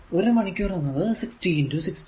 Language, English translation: Malayalam, So, 1 hour is equal to 60 into 6